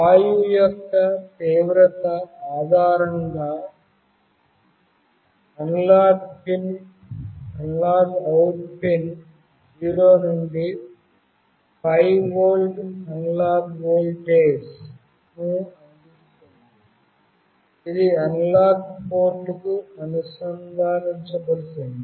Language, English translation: Telugu, The analog out pin outputs 0 to 5 volt analog voltage based on the intensity of the gas, which will be connected to an analog port